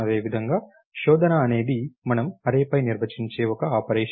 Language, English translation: Telugu, Similarly searching is an operation that we define on the array